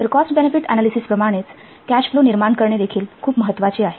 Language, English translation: Marathi, So like cost benefit analysis, it is also very much important to produce a cash flow forecast